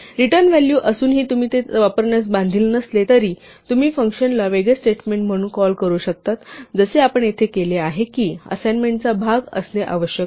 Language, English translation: Marathi, Even though there is a return value you are not obliged to use it, you can just call a function as a separate statement as we have done here it does not have to be part of an assignment